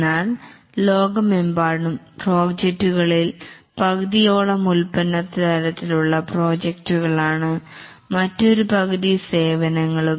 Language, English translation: Malayalam, But still worldwide nearly half of the projects are product type of projects and another half is on services